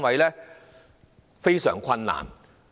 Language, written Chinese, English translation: Cantonese, 這是非常困難的。, This is hardly possible